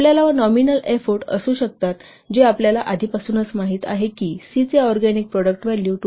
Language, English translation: Marathi, So, nominal effort could be, we know already for organic product value of C is 2